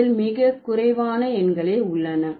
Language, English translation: Tamil, This has very few numerals